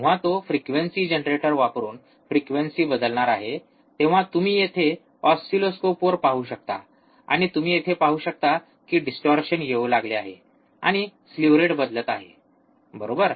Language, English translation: Marathi, Can you please do that yeah so, when he is going to change the frequency using frequency generator you can see the oscilloscope here, and you can see here the distortion will start occurring slew rate will start changing, right